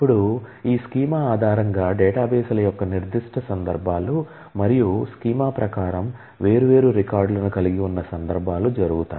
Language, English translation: Telugu, Now, based on this schema specific instances of databases happen, instances when you actually have populated different records according to the schema